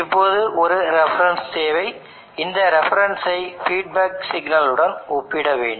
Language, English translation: Tamil, Now there needs to be a reference, now this reference has to be compared with the feedback signal